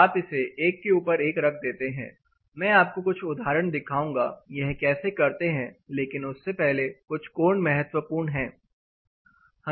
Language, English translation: Hindi, You put this over super impose it and then I will show you some examples of how to do this, but before that few angles are important